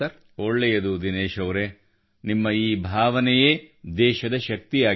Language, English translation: Kannada, Fine Dinesh ji…your sentiment is the strength of the country